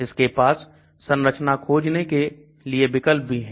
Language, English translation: Hindi, Also this also has a structure search option